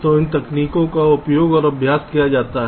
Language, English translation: Hindi, so these techniques are used and practiced